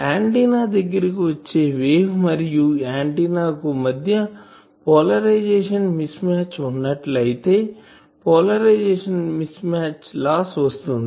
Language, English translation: Telugu, So, if the antenna is not; if there is a mismatch in the polarization of the way coming and polarization of the antenna then there is a polarization mismatch loss